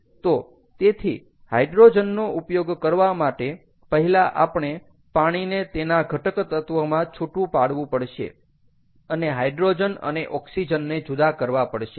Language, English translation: Gujarati, so therefore, if you, in order to use hydrogen, we have to first break down water into its constituent elements and this so and and separate out hydrogen and oxygen and then use the hydrogen, ok